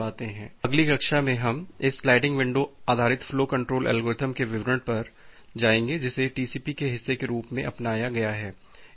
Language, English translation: Hindi, So, in the next class, we will go to the details of this sliding window based flow control algorithm which is adopted as the part of the TCP